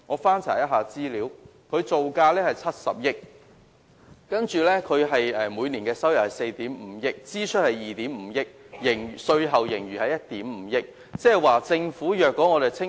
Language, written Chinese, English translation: Cantonese, 翻查資料，青嶼幹線造價70億元，每年收入為4億 5,000 萬元，支出為2億 5,000 萬元，稅後盈餘是1億 5,000 萬元。, The incident has turned Hong Kong into an international laughing stock . I hope the Secretary can look into this problem . Information shows that the Lantau Link cost 7 billion to build; it yields an annual income of 450 million and costs 250 million a year and its net profit after taxation is 150 million